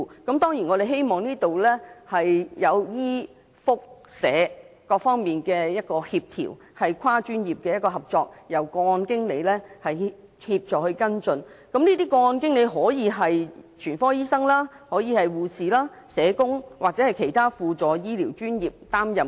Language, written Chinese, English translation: Cantonese, 當然，就此我們希望可協調醫、福、社各方面，進行跨專業合作，再由個案經理協助跟進，而個案經理可以由全科醫生、護士、社工或其他輔助醫療專業人員擔任。, We certainly hope that cross - discipline cooperation between medical welfare and social sectors can be coordinated and followed up by case managers who can be physicians nurses social workers or other allied health professionals